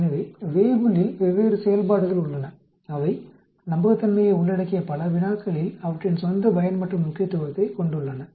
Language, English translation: Tamil, So there are different functions available in Weibull which have their own usefulness and significance in many problems which involve reliability